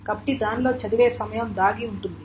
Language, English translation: Telugu, So there is a reading time hidden into it